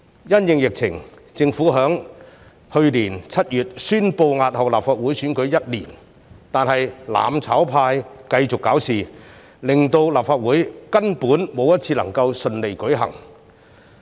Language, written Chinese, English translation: Cantonese, 因應疫情，雖然政府在去年7月宣布押後立法會選舉1年，但"攬炒派"繼續搞事，令立法會根本沒有一次會議能夠順利舉行。, Owing to the pandemic the Government announced in July last year the postponement of the election of the Legislative Council for one year but the mutual destruction camp kept on stirring up trouble . As a result not a single Council meeting was able to be held smoothly without incident